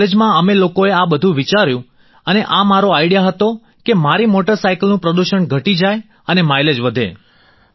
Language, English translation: Gujarati, And in college we thought about all of this and it was my idea that I should at least reduce the pollution of my motorcycle and increase the mileage